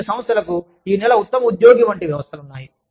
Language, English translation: Telugu, Some organizations have systems like, employee of the month